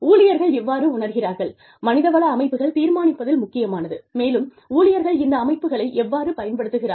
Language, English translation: Tamil, How employees perceive, the human resource systems, is critical in determining, how employees use these systems